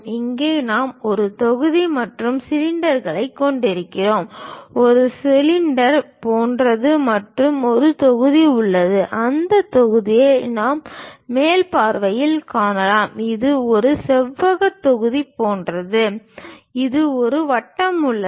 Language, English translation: Tamil, Here we have a block and cylinders, something like a cylinder and there is a block, that block we can see it in the top view it is something like a rectangular block, there is a circle